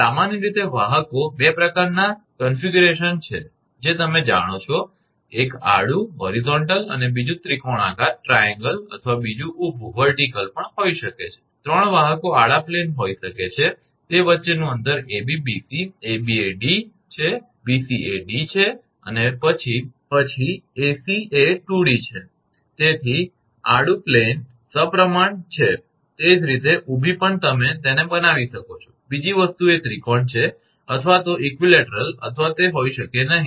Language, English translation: Gujarati, Generally conductors are 2 types of configuration you know and one is horizontal another may be triangular or another may be vertical also, three conductors may be horizontal plane distance between AB, BC, AB is D, BC is D, then AC will be 2 D, so horizontal plane symmetrical, similarly vertical also you can make it, another thing is the triangle either equilateral or may not be